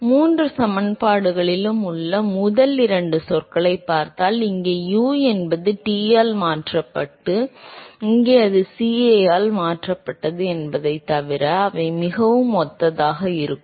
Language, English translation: Tamil, So, if we look at the first two terms in all three equations they are very similar right, except that here u is replaced by T and here it is replaced by CA